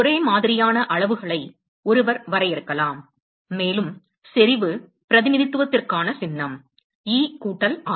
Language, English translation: Tamil, One could define similar quantities, and the symbol for intensity representation is, e plus r